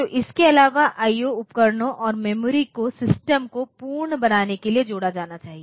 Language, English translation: Hindi, So, apart from that the IO devices and the memory they should be connected to make the system complete